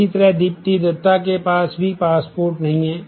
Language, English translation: Hindi, So, similarly, Dipti Dutta does not have a passport either